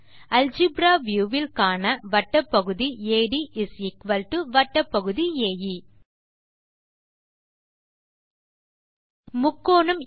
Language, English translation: Tamil, Lets see from the Algebra view that segment AD=segment AE